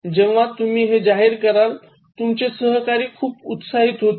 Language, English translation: Marathi, So, when you announce this, so colleagues feel very enervated